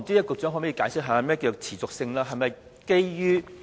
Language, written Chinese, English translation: Cantonese, 局長可否解釋何謂"持續性"呢？, Can the Secretary explain what is meant by sustainability?